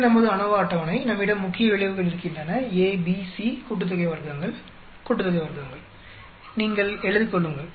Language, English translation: Tamil, This is our ANOVA table, we have the main effects A, B, C sum of squares, sum of squares, you have written down